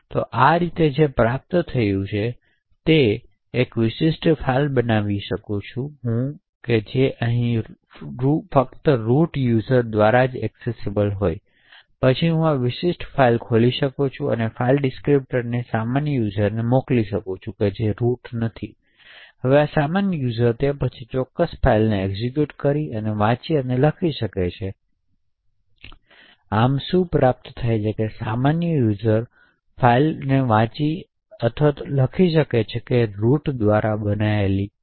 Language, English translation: Gujarati, So in this way what can be achieved is that I could create a particular file which is accessible only by root users but then I could open this particular file and send that file descriptor to a normal user who is not a root, now this normal user can then execute and read and write to this particular file, so thus what is achieved is that a normal user can read or write to a file which is owed by a root